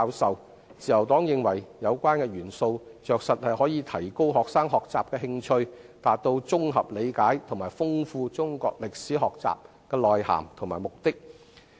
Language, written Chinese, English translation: Cantonese, 自由黨認為，有關的元素着實可以提高學生學習的興趣，達到綜合理解和豐富中國歷史學習內涵的目的。, The Liberal Party is of the view that these elements can enhance students interest in learning thereby achieving the objectives of attaining comprehensive understanding and enriching the learning of Chinese history